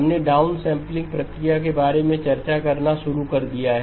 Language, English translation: Hindi, We have started to discuss about the downsampling process